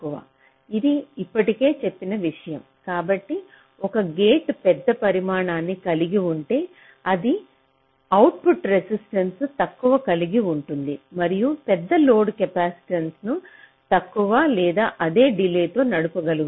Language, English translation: Telugu, so if a gate has larger size, which means it will have lower output resistance and which can drive a larger load capacitance with possibly the same or less delay